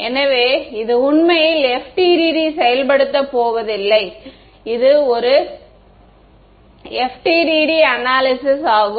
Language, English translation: Tamil, So, this is actually not what the FDTD is going to implement, this is an analysis of the FDTD yeah